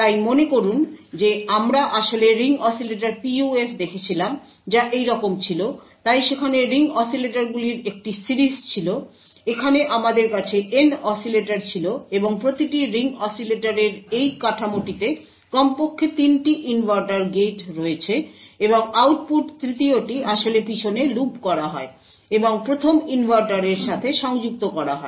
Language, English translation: Bengali, So recollect that we actually looked at Ring Oscillator PUF which was something like this, so there were a series of ring oscillators, over here we had N oscillators and each ring oscillator had in this figure at least has 3 inverter gates, and output of the 3rd one is actually looped back and connected to the 1st inverter